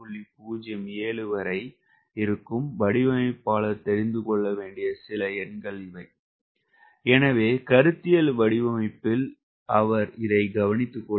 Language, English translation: Tamil, we have some number the designer should know so that in the conceptual design he takes care of